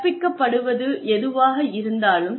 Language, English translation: Tamil, When they are being taught